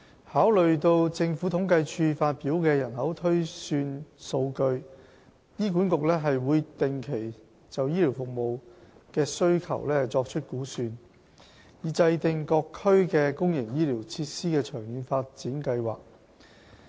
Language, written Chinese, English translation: Cantonese, 考慮到政府統計處發表的人口推算數據，醫管局會定期就醫療服務需求作出估算，以制訂各區的公營醫療設施的長遠發展計劃。, Considering the data on population projections published by the Census and Statistics Department HA conducts estimation of health care service need on a regular basis with a view to formulating the long - term development plan of public health care facilities in various districts